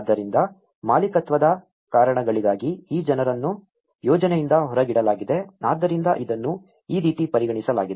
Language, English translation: Kannada, So, these people have been excluded from the project for reasons of ownership so this is how this has been considered